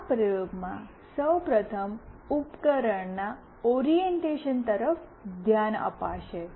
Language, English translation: Gujarati, In this experiment firstly will look into the orientation of the device